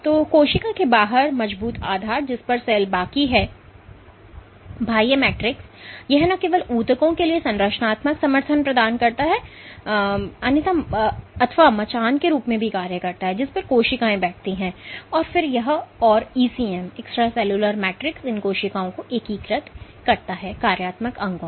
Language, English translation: Hindi, So, the outside of the cell, the strong base on which the cell rest is the extracellular matrix, it not only provides structural support for tissues, it acts as the scaffold on which cells sit and then it and then it the ECM integrates these cells into functional organs